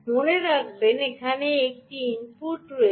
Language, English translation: Bengali, remember, there is an input